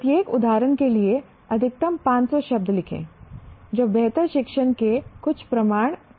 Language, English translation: Hindi, Right, maximum of 500 words for each example, giving some evidence of better learning